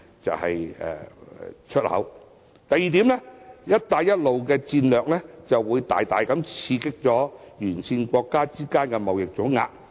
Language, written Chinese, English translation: Cantonese, 第二，"一帶一路"的戰略會大大刺激沿線國家之間的貿易總額。, Second the One Belt One Road strategy will substantially boost trade volumes among countries along the route